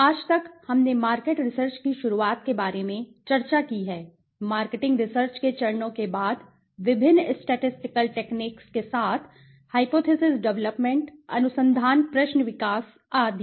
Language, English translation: Hindi, Till date, we have discussed about the introduction of market research, the steps of marketing research followed by the different statistical techniques with hypothesis development, research question development etc